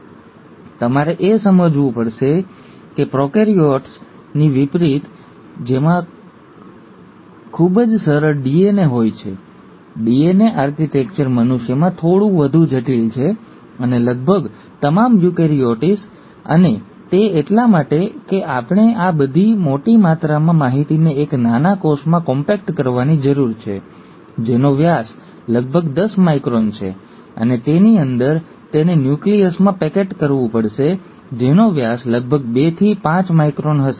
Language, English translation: Gujarati, So, you have to appreciate that, unlike prokaryotes, which have much simpler DNA, the DNA architecture is a little more complex in humans, and almost all the eukaryotes and that is because we need to compact all these large amount of information into a tiny cell which has a diameter of about ten microns, and within that, it has to packet into a nucleus which will have a diameter of about two to five microns